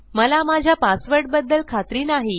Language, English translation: Marathi, I am not sure about my password